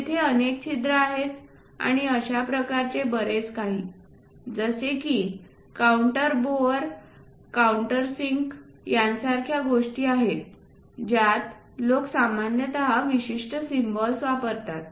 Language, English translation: Marathi, There are variety of holes and so on so, things like counter bores countersinks and so on there are special symbols people usually use it